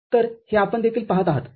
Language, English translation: Marathi, So, that is what you see over here